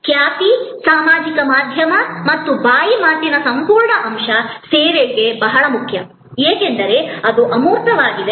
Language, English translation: Kannada, Reputation, the whole aspect of social media and word of mouth, very important for service, because it is intangible